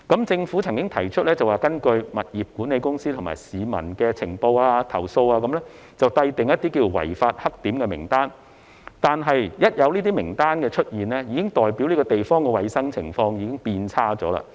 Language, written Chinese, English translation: Cantonese, 政府曾經提出會根據物業管理公司及市民的情報及投訴，制訂"違法黑點"名單，但有這種名單出現，便已代表該等地方的衞生情況已經變差。, The Government has proposed to draw up a list of black spots based on the intelligence and complaints received from property management companies and the public . Nevertheless the presence of such a list already implies that the hygiene conditions of those places have deteriorated